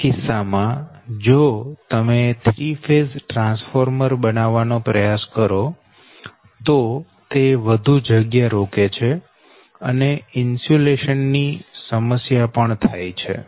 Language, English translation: Gujarati, in that case, if you try to design a three phase transformer then it occupies actually a huge volume and insu insulation problem also right